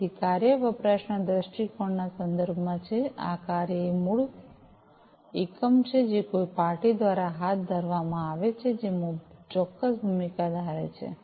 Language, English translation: Gujarati, So, the task is in the context of usage viewpoint, the task is a basic unit of work, that is carried out by a party, that assumes a specific role